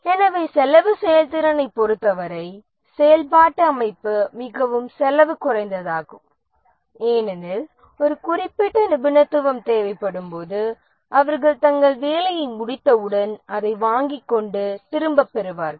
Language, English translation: Tamil, So as far as the cost effectiveness is concerned, functional organization is very cost effective because when a specific expertise is required, it is procured and returned as soon as they complete their work